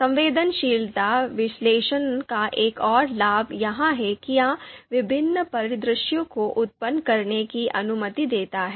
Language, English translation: Hindi, So another another advantage of you know sensitivity analysis is that it it allows to generate different scenarios